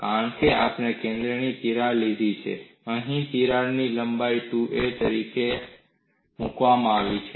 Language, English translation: Gujarati, Because we have taken a center crack, here the crack length is put as 2a